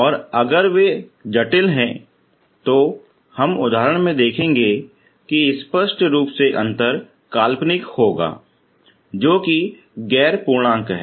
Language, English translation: Hindi, And if they are complex that we will see in the example obviously the difference will be imaginary which is non integer, okay